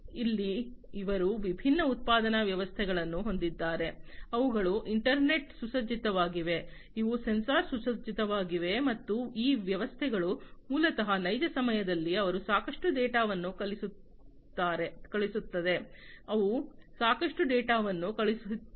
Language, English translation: Kannada, Here they have different manufacturing systems which are internet equipped, these are sensor equipped and these systems basically in real time they throw in lot of data, they stream in lot of data